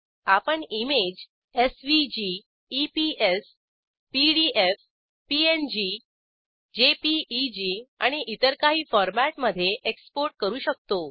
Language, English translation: Marathi, You can export the image as SVG, EPS, PDF, PNG, JPEG and a few others